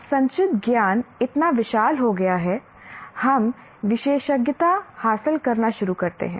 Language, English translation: Hindi, Now the accumulated knowledge has become so vast, we start specializing